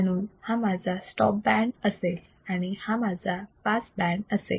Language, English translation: Marathi, So, this will be my stop band this will be my pass band